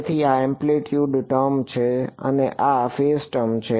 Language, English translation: Gujarati, So, this is the amplitude term and this is the phase term